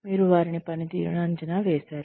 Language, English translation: Telugu, You have assessed their performance